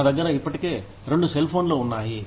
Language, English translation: Telugu, I already have two cell phones